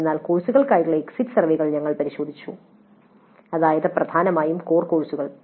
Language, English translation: Malayalam, So, we looked at the exit surveys for courses in general which means predominantly core courses